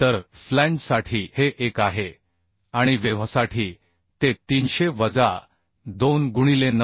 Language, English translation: Marathi, 4 cube by 3 So this is 1 for flange and for web it will be 300 minus 2 into 9